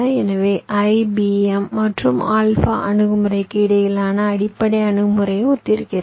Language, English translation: Tamil, so the basic approach between i, b, m and alpha approach are similar